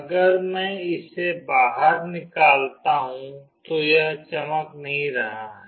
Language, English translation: Hindi, If I take it out, it is not glowing